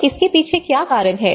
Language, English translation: Hindi, So what is the reason behind it